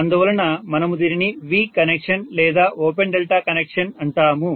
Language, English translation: Telugu, So we call this as V connection or open delta connection